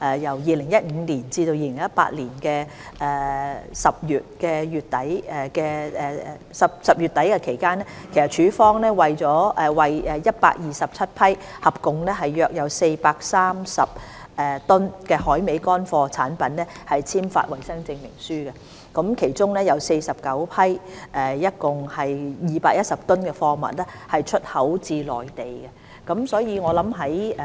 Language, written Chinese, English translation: Cantonese, 2015年至2018年10月底期間，署方為127批合總約430噸海味乾貨產品簽發衞生證書，其中49批共210噸貨物出口至內地。, Between 2015 and the end of October 2018 AFCD has issued Sanitary Certificates for 127 batches of dried seafood products with a total weight of about 430 tonnes; among them 49 batches of products weighing 210 tonnes have been exported to the Mainland